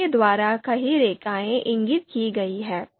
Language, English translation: Hindi, Multiple lines are indicated by this